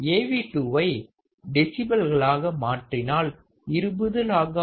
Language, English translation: Tamil, If I convert my Av2 into decibels, I will have 20 log 4